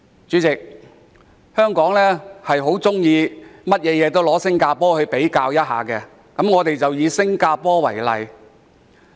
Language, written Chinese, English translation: Cantonese, 主席，香港事事喜歡與新加坡比較，我便以新加坡為例。, President as Hong Kong likes to make comparison with Singapore I will take Singapore as an example